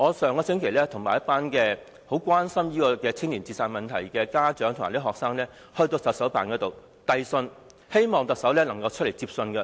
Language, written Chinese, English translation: Cantonese, 上星期，我與一群很關心青年自殺問題的家長和學生到行政長官辦公室呈交信件，希望特首出來接收。, Last week a group of parents and students who feel gravely concerned about juvenile suicides and I visited the Chief Executives Office to present a letter hoping the Chief Executive would receive it in person